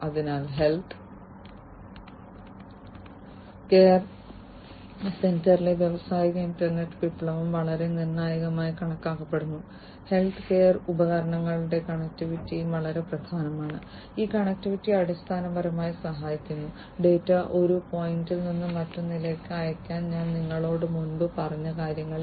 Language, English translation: Malayalam, So, the industrial internet revolution in the healthcare center is considered to be very crucial, connectivity of healthcare devices is also very important this connectivity basically helps, in what I was telling you earlier to send the data from one point to another